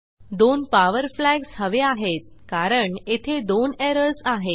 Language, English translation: Marathi, We need two such power flags since there are two errors of such type